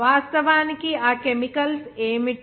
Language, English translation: Telugu, And what are that chemicals actually